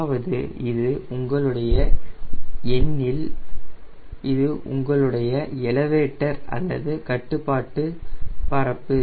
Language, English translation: Tamil, that is suppose this is your tail and this is your elevator or control surface